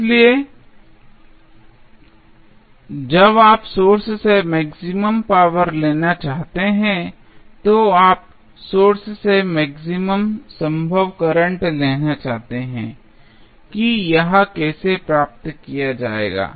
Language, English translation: Hindi, So, when you want to draw maximum power from the source means, you want to draw maximum possible current from the source how it will be achieved